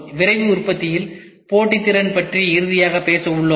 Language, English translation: Tamil, We will also talk finally, about competitiveness in Rapid Manufacturing